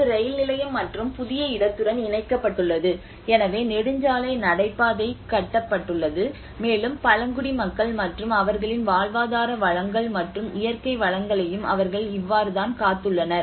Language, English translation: Tamil, Which is connecting to the railway station and the new location as well so the highway corridor has been constructed and this is how they even showed the concern of the tribal people and their livelihood resources and also the natural resources as well